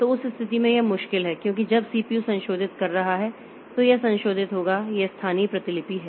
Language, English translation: Hindi, So, in that situation it is difficult because when this CPU is modifying so it will modify its local copy